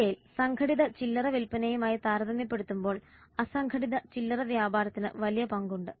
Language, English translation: Malayalam, In India unorganized retailing has major stake in comparison to organized retail